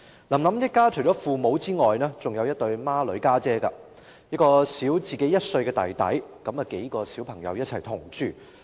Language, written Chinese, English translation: Cantonese, "林林"一家除了父母之外，還有一對雙胞胎姊姊，另有一名比她小1歲的弟弟，數名小孩同住。, In the family of Lam Lam apart from her parents she has twin sisters and a younger brother who is a year her junior . These several children lived together